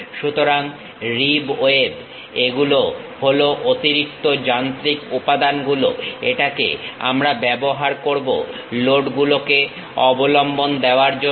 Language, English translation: Bengali, So, ribs webs these are the additional machine elements, which we use it to support loads